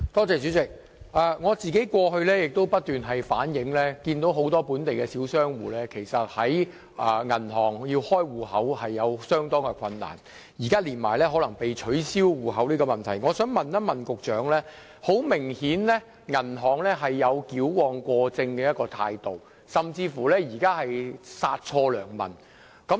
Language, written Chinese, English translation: Cantonese, 主席，我過去也不時反映，很多本地小商戶在銀行開立帳戶時遇到困難，現在更加上銀行取消客戶帳戶的問題，銀行顯然有矯枉過正甚至殺錯良民之嫌。, President as I have reflected time and again many local small business owners encountered difficulties in opening bank accounts and the situation is now even worse with banks closing customers accounts . Apparently banks straighten the crooked to excess and even kill the innocent customers